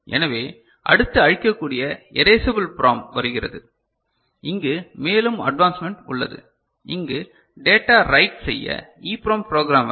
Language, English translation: Tamil, So, then comes what is called Erasable PROM, a further advancement here where the data is written of course EPROM programmer ok